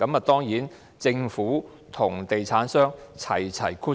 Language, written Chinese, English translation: Cantonese, 當然，政府和地產商一起"掠水"。, Of course the Government and property developers are joining hands to reap gains